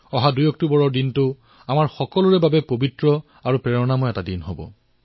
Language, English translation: Assamese, 2nd of October is an auspicious and inspirational day for all of us